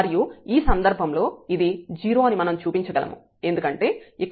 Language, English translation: Telugu, So, this is also not equal to 0 and it is 0 when x y is 0